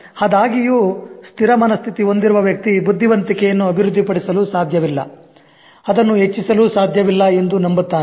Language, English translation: Kannada, But the person with a fixed mindset will tend to believe that intelligence cannot be developed